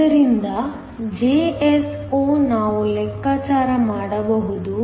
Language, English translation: Kannada, So, Jso, we can calculate